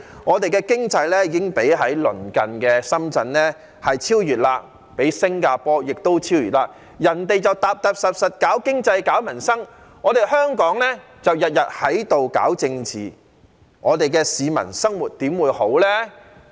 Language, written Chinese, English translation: Cantonese, 我們的經濟已經被鄰近的深圳超越，亦被新加坡超越，人家踏踏實實搞經濟、搞民生，香港就日日在這裏搞政治，市民的生活又怎會好呢？, Our economy has been overtaken by Shenzhen our neighbouring city and by Singapore as well . While they are working pragmatically on improving the economy and peoples livelihood Hong Kong is beset by political disputes every day . How can the people lead a good life then?